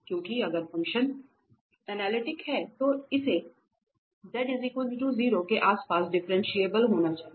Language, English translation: Hindi, Because if the function is analytic at z equals 0 then it has to be differentiable in a neighborhood around this z equal to 0